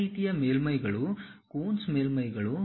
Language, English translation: Kannada, The other kind of surfaces are Coons surfaces